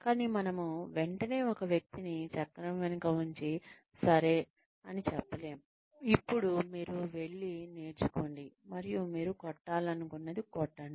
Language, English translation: Telugu, But, we cannot immediately put a person, behind the wheel, and say okay, now you go and learn, and hit, whatever you want to hit